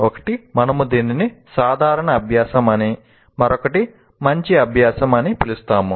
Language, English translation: Telugu, One we call it common practice and the other one is good practice